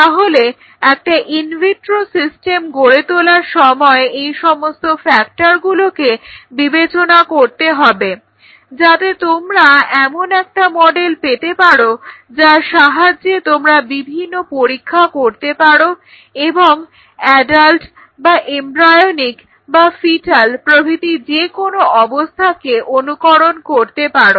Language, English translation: Bengali, So, while we are developing in vitro systems one has to keep in mind that these factors are being considered so that you get a robust model to explore and emulate the adult or the embryonic or the fetal type of conditions